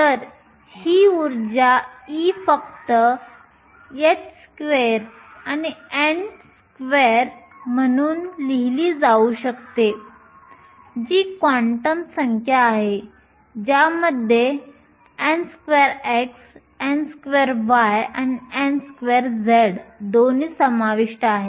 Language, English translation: Marathi, So, That energy e can be just written as h square and n square which is the quantum number which includes both n x, n y and n z